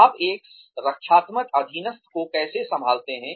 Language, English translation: Hindi, How do you handle a defensive subordinate